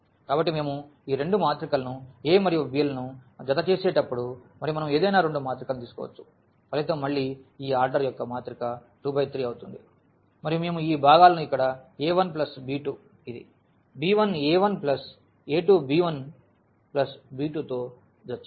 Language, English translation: Telugu, So, when we add these two matrix a and b and we can take any two matrices the result would be again this matrix of order 2 by 3 and we will be just adding these components here a 1 plus b 2 this b 1 a 1 plus a 2 b 1 plus b 2 and so on